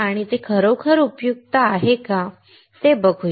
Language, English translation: Marathi, And why is it really useful